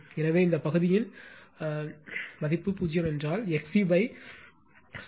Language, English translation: Tamil, Therefore, if this of this part is 0, then X C upon 69